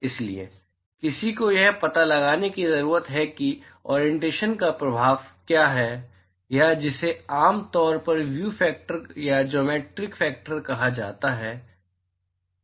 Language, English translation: Hindi, So, one needs to find out what is the effect of the orientation or that is what is generally called as view factor or geometric factor